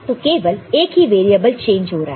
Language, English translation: Hindi, So, only one variable is changing